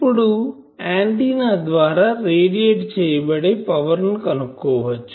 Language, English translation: Telugu, Now, now we can find out what is the power radiated by antenna